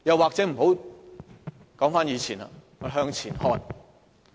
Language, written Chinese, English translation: Cantonese, 或者不說以前，我們向前看。, Alternatively we can look forward instead of backward